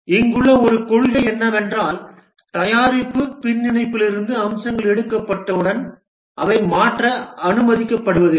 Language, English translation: Tamil, One of the principle here is that once the feature have been taken out from the product backlog, they are not allowed to change